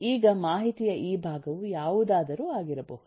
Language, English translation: Kannada, now, this chunk of information could be anything